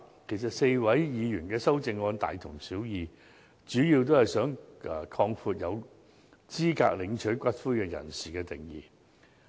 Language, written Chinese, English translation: Cantonese, 其實 ，4 位議員的修正案大同小異，主要都是想擴闊有資格領取骨灰人士的定義。, In fact the amendments proposed by the four Members are similar and they mainly seek to broaden the definition of those eligible to claim for the return of ashes